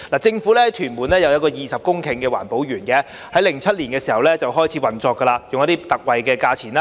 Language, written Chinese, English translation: Cantonese, 政府在屯門有佔地20公頃的環保園，在2007年開始運作，以特惠價錢出租土地。, The Government has set up a 20 - hectare EcoPark in Tuen Mun which started operation in 2007 with land being leased out at concessionary rates